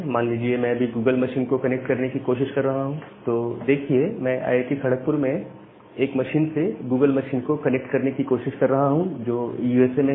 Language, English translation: Hindi, Say if I am trying to connect to google machine right now, I will be connecting that google machine which is residing at USA from a machine which is there in Kharagpur